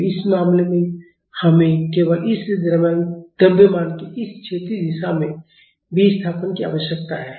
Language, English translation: Hindi, So, in this case we only need the displacement of this mass in this horizontal direction